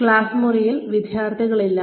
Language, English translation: Malayalam, There are no students in this classroom